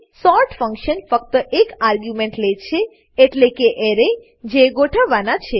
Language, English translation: Gujarati, sort function takes a single argument , which is the Array that needs to be sorted